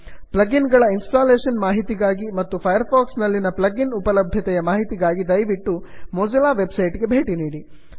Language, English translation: Kannada, To learn more about plug ins available for mozilla firefox and instructions on how to install them please visit the mozilla website